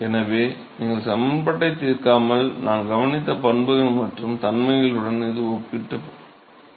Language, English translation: Tamil, So, it is consistent with the properties and the characteristics that we observed without solving the equation